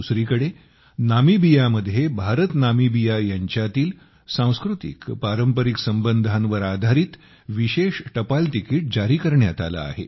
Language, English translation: Marathi, Similarly, in Namibia, a special stamp has been released on the IndoNamibian culturaltraditional relations